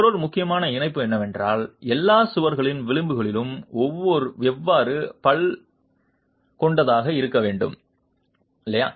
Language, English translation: Tamil, Another important prescription is how the edges of all walls must be toothed